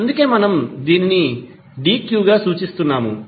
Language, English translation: Telugu, That is why we are representing as dq